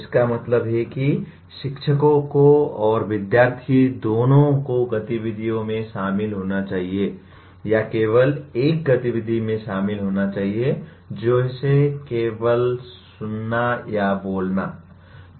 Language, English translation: Hindi, That means both teachers and student should be or should be involved in activities and not one activity like only listening or speaking